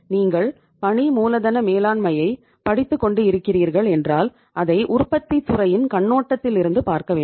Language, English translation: Tamil, Means if you are studying the working capital management study it in the perspective of manufacturing industry